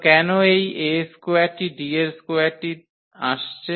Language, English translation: Bengali, So, why this A square is coming D square